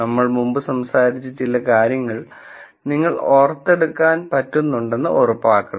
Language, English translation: Malayalam, Just to make sure that we recall some of the things that we have talked about before